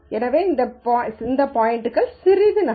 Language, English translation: Tamil, So, these points move a little bit